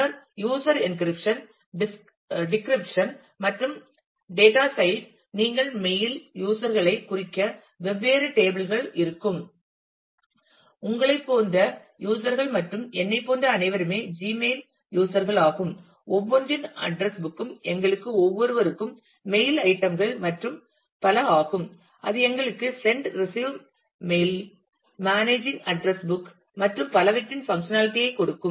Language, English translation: Tamil, And then user encryption, decryption and the data side you will have different tables to represent the mail users, the users like you and me all who are users of the Gmail, the address book of each for each one of us the mail items and so on, and that will give us the functionality of send, receive mails, managing address book and so on